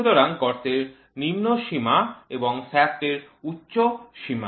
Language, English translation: Bengali, So, lower limit of hole, higher limit of shaft